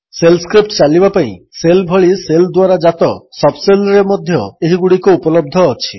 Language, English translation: Odia, These are also available in sub shells spawned by the shell like the ones for running shell scripts